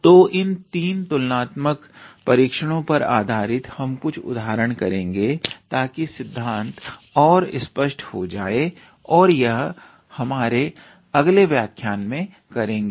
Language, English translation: Hindi, So, based on these 3 types of comparison test we will work out few examples to make the concept clear and will do that in our next lecture